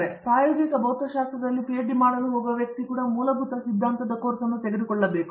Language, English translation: Kannada, So, the person going to do a PhD in experimental physics will also be taking the fundamental theory course